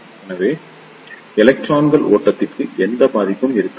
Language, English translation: Tamil, So, there will not be any passage to flow of electrons